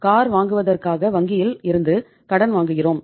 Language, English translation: Tamil, We borrow money from the bank for buying a car